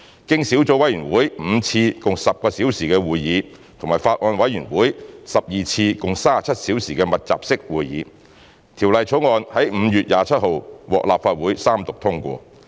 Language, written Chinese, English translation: Cantonese, 經小組委員會5次共10小時會議及法案委員會12次共37小時的密集式會議，《條例草案》在5月27日獲立法會三讀通過。, After a total of 5 subcommittee meetings involving 10 meeting hours and a total of 12 intensive meetings of the Bills Committee involving 37 meeting hours the Bill was passed by the Legislative Council on 27 May